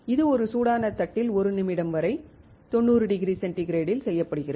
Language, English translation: Tamil, This is done at 90 degrees centigrade for 1 minute on a hot plate